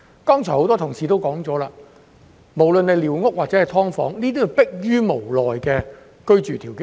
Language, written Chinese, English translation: Cantonese, 剛才多位同事皆提及，寮屋或"劏房"皆是逼於無奈形成的居住條件。, As rightly said by many Members just now squatter structures or subdivided units are living accommodations that have come into being due to the lack of other options